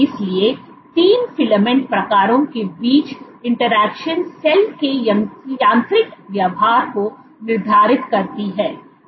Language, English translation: Hindi, So, interactions between the 3 filament types determine the mechanical behavior of the cell